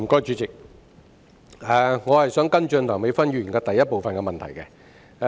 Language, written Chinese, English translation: Cantonese, 主席，我想跟進梁美芬議員主體質詢的第一部分。, President I would like to follow up on part 1 of Dr Priscilla LEUNGs main question